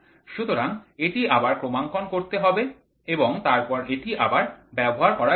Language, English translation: Bengali, So, again it has to be calibrated and then it has to be brought down